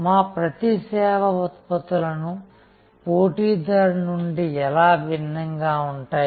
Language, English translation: Telugu, How each of our service products differs from the competitor